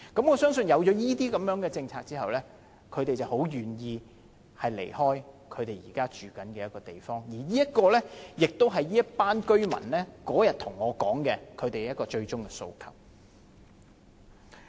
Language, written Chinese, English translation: Cantonese, 我相信有這些措施後，他們會很願意離開現在居住的地方，而上述的建議亦是這群居民當天跟我說的最終訴求。, I believe with these measures they would be more than willing to leave their current dwellings . And the aforementioned suggestions are the ultimate requests this group of residents presented to me on the day of our meeting